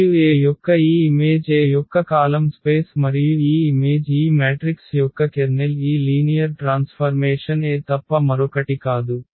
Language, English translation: Telugu, And this image of A is nothing but the column space of A and this image the kernel of this matrix this linear mapping A is nothing but the null the null space of A